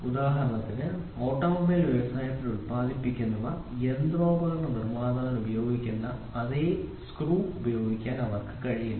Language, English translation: Malayalam, For example, what is produced in the industry of automobile they cannot use the same screw which is used for machine tool manufacturer